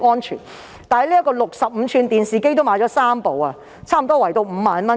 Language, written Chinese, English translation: Cantonese, 至於65吋電視機，他們亦購置了3台，每台約 50,000 元。, As for the 65 - inch television set they also purchased three sets for about 50,000 each